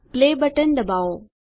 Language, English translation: Gujarati, Click the Play button